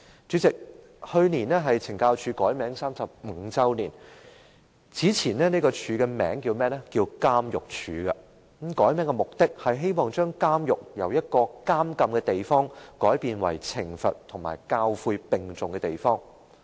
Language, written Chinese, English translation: Cantonese, 主席，去年是懲教署改名35周年，署方的前名為監獄署，改名的目的就是希望把監獄由一個監禁之處，改為懲罰和教誨並重的地方。, President last year marked the 35 year since CSD changed its name . CSD was formerly known as the Prisons Department . The purpose of changing its name was to transform prisons as a place for incarceration to a place attaching equal importance to both punishment and correctional teaching